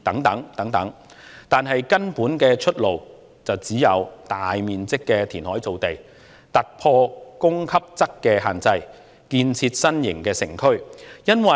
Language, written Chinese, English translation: Cantonese, 但是，根本的出路只有大面積的填海造地，突破供給側的限制，建設新型城區。, However the only fundamental way out is to reclaim large areas of land from the sea to bring about a breakthrough in supply and build a modern urban area